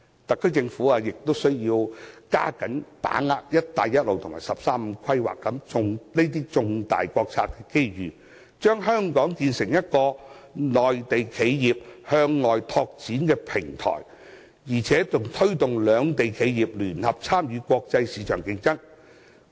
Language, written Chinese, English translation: Cantonese, 特區政府亦須要加緊把握"一帶一路"及"十三五"規劃等重大國策的機遇，把香港建成一個內地企業向外拓展的平台，並推動兩地企業聯合參與國際市場競爭。, The SAR Government should also make an extra effort to capture the opportunities rendered by major national strategies such as the Belt and Road Initiative and the 13 Five - Year Plan in a bid to establish Hong Kong as a platform for Mainland enterprises to go global and facilitate local and Mainland enterprises to jointly compete in the global market